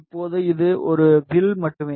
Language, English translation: Tamil, Now, this is just a arc